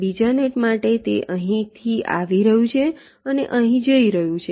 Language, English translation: Gujarati, for the second net, it is coming from here, it is going here